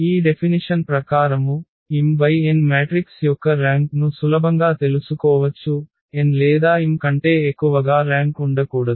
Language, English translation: Telugu, Just a consequence of this definition we can easily make it out that the rank of an m cross n matrix cannot be greater than n or m